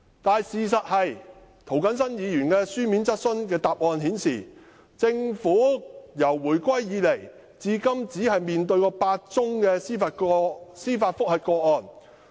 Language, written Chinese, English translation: Cantonese, "但事實是，政府就涂謹申議員的書面質詢作出答覆，表示自回歸以來，至今只面對8宗司法覆核個案。, As a matter of fact in reply to a written question raised by Mr James TO the Government indicated that it had faced only eight judicial review cases since the reunification